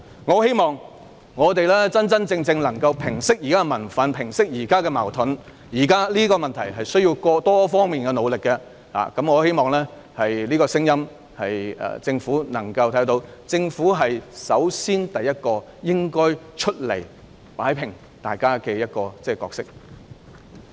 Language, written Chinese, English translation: Cantonese, 我希望現時的民憤和矛盾可以得到真正平息，現時的問題需要多方努力，我希望政府會聽到這個聲音，而政府應該擔當首先走出來擺平問題的角色。, I hope the existing public rage and conflicts can be truly mollified . The efforts of various parties are required to solve the existing problems . I hope that the Government will listen to these voices and the Government should take the lead to come forth to settle the problems